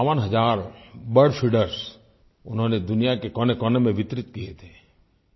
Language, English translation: Hindi, Nearly 52 thousand bird feeders were distributed in every nook and corner of the world